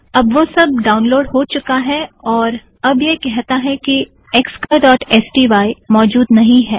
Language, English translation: Hindi, Alright, it downloaded that and now it says that xcolor.sty is missing